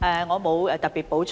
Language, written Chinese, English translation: Cantonese, 我沒有特別補充。, I do not have any particular points to add